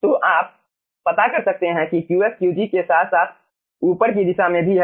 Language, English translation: Hindi, so you can find out, qf is also in the upward direction along with qg, right